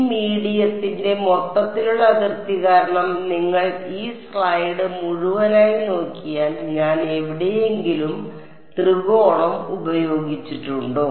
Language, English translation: Malayalam, Overall boundary of this medium because if you look at this entire slide have I made any use of the triangle anywhere